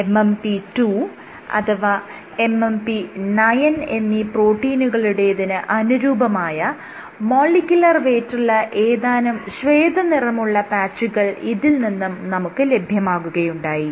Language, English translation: Malayalam, You have these white patches corresponding to molecular weight of certain proteins let us say MMP 2 or MMP 9